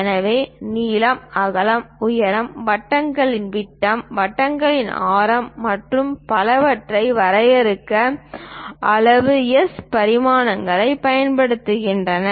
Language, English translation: Tamil, So, size S dimensions are used to define length, width, height, diameter of circles, radius of arcs and so on, so things